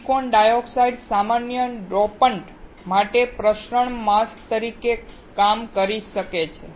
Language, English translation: Gujarati, The silicon dioxide can act as a diffusion mask for common dopants